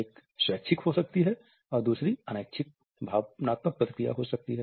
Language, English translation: Hindi, One may be voluntary and the other may be involuntary emotional response